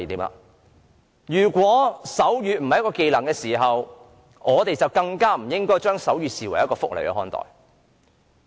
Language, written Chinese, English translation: Cantonese, 既然手語並非技能，我們更不應該把手語視為福利。, As sign language is not a skill we should not even regard sign language as a welfare benefit